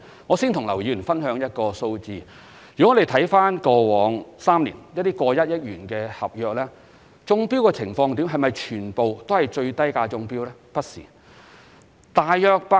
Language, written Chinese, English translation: Cantonese, 我先與劉議員分享一個數字：以過往3年超過1億元的合約而言，是否全皆由最低價標書中標呢？, the quality of tenders submitted . Let me first share the following statistical information with Mr LAU In the past three years have all works contracts with a value exceeding 100 million been awarded to the tenderers offering the lowest bids?